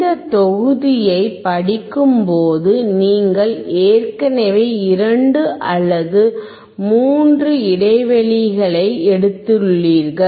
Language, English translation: Tamil, While reading this module probably you have taken already 2 or 3 breaks